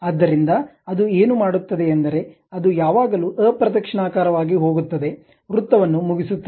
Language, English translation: Kannada, So, what it does is it always goes in the counter clockwise direction, finish the circle